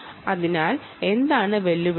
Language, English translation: Malayalam, so what are the challenges